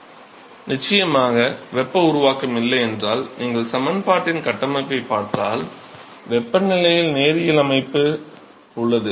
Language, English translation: Tamil, Sure, you can because if there is no heat generation, if you look at the structure of the equation, is linear in temperature